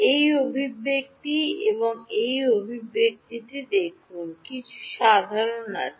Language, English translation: Bengali, Look at this expression and this expression, is there something common